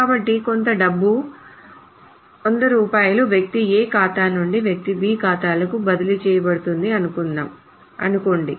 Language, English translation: Telugu, So, a certain amount of money, so let us say 100 rupees is transferred from person A's account to person B's account